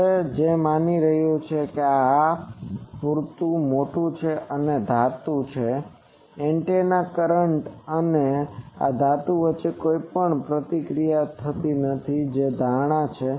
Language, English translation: Gujarati, Now what is assuming that this is sufficiently large this is a metal that there is no interaction between the antennas currents and this metal that is the assumption